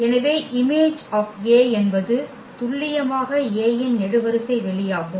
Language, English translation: Tamil, So, thus the image A is precisely the column space of A